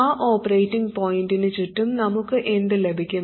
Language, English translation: Malayalam, And around that operating point, what will we have